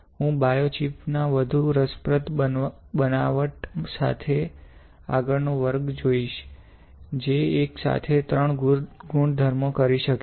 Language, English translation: Gujarati, So, I will see you next class with the more interesting fabrication of a biochip, which can do three properties simultaneously